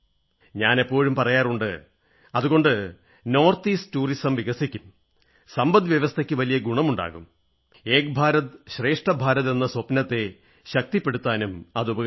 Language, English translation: Malayalam, I always tell this fact and because of this I hope Tourism will also increase a lot in the North East; the economy will also benefit a lot and the dream of 'Ek bharat